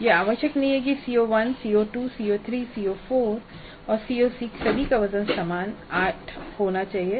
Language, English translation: Hindi, It is not necessary that CO1, CO2, CO3, CO4 and CO6 all must carry the same weight of 8